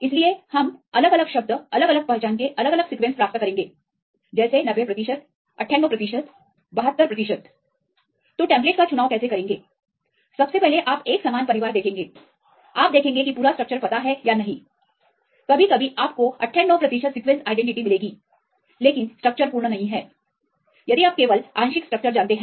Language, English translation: Hindi, So, we will get different term different sequences of different identities say 90 percent 98 percent 72 percent are different identities then how to choose your template first you see the same family and you see the complete structure is known sometimes you get the 98 percent sequence identity but structure is not complete if you only know the partial structure